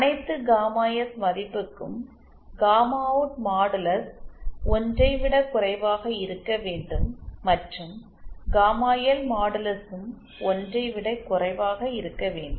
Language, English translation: Tamil, So this is the stability criteria that gamma in should and gamma out modulus should be lesser than 1 for all gamma S and gamma L modulus lesser than 1